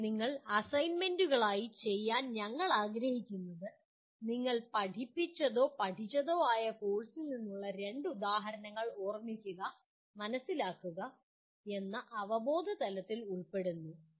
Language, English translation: Malayalam, Now, what we would like you to do as assignments, give two examples of activities from the course you taught or learnt that belong to the cognitive levels of Remember and Understand